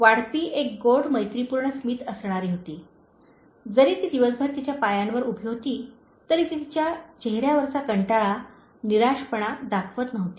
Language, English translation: Marathi, The waitress had a sweet friendly smile, although she had spent on her feet the whole day, she was not showing the tiredness, frustration on her face